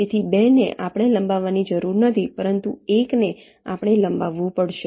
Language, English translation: Gujarati, so two, we need not extend, but one we have to extend